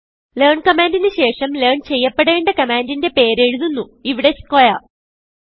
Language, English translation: Malayalam, The command learn is followed by the name of the command to be learnt, in this case it is a square